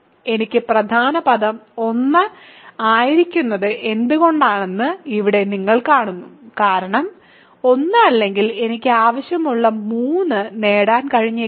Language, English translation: Malayalam, Here you see why I need the leading term to be 1 because if it is not 1 I may not be able to get 3 that I want